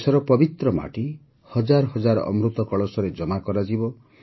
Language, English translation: Odia, The holy soil of the country will be deposited in thousands of Amrit Kalash urns